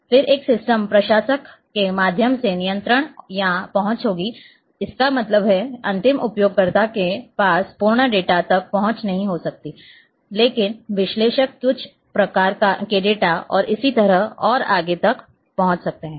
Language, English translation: Hindi, Then there will be control or the access through a system administrator; that means, end user may not have access to the full data, but analyst might be having access to certain type of data and so on and so forth